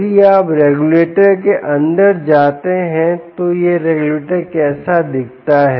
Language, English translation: Hindi, if you go inside of the regulator, how does it look